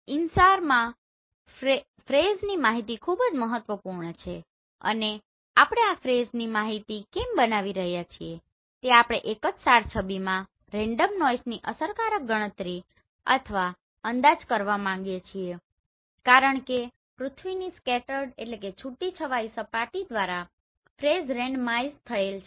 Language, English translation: Gujarati, In InSAR the phase information is very important and we are generating this phase information why because we want to effectively calculate or estimate the random noise in a single SAR image because the phase are randomized by all the scattering of the earth surface